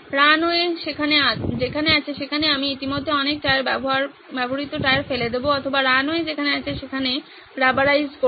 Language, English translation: Bengali, I will dump a lot of tyres spent tyres already at the place where the runways or rubberize the place where the runway is